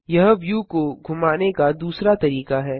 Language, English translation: Hindi, This is the second method of Panning the view